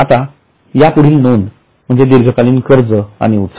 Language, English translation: Marathi, Now the next item is D long term loans and advances